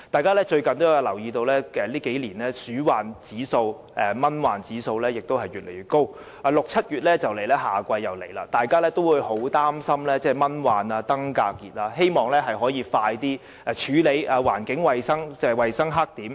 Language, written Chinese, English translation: Cantonese, 可能大家也留意到，近年的鼠患指數和蚊患指數越來越高，而6月、7月夏季將至，市民很擔心蚊患和登革熱，希望可以盡快處理衞生黑點。, Members may be aware that the rodent infestation rates and ovitrap indexes have been on the rise in recent years . With the approach of the rainy season in June and July the public are very concerned about the outbreak of mosquito infection and dengue fever hoping that the hygiene black spots can be cleaned as soon as possible